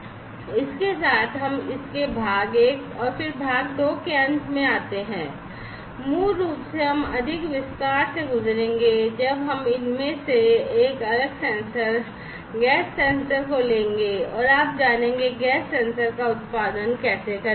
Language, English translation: Hindi, With this we come to an end of it the part 1 and then in part 2 basically we will go through the in more detail we will take up one of these different sensors the gas sensor and how you know you produce the gas sensors right